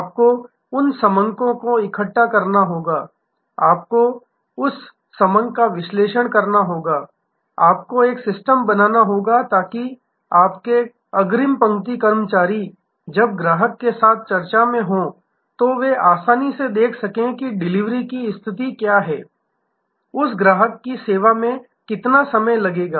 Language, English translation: Hindi, You have to collect those data, you have to analyze that the data, you have to create a system, so that your front line sales people when they are in discussion with the customer, they should be easily able to see that, what is the delivery position, how long it will take to serve that customer